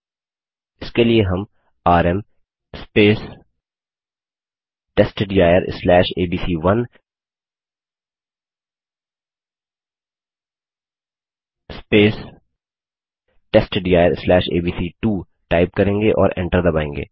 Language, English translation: Hindi, For this we would type rm testdir/abc1 testdir/abc2 and press enter